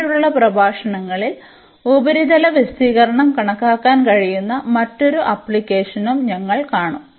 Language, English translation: Malayalam, In later lectures we will also see another application where we can compute the surface area as well